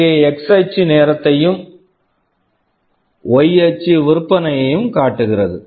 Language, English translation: Tamil, Here the x axis shows the time and y axis shows the sales